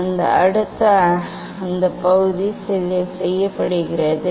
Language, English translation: Tamil, Now, next that part is done